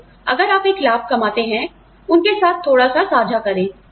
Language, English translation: Hindi, So, if you make a profit, share a little bit, with them